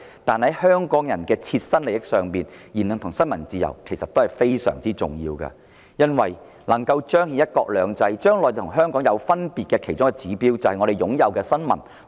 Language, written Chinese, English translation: Cantonese, 從香港人的切身利益出發，言論自由和新聞自由其實非常重要，既能彰顯"一國兩制"，亦是體現內地與香港分別的其中一個指標。, Judging from the interests of Hong Kong people both freedom of speech and freedom of the press are very important as they manifest the principle of one country two systems and serve as an indicator of the difference between the Mainland and Hong Kong